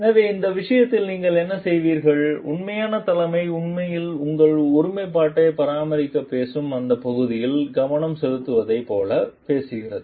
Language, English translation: Tamil, So, what you do in this case so, authentic leadership talks like really focuses in that area which talks of maintaining your integrity